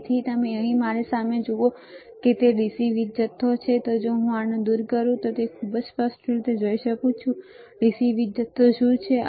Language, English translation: Gujarati, So, you see here in front of me it is a DC power supply, if I remove this, you can see very clearly, what is there is a DC power supply